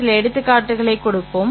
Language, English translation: Tamil, Let us give some examples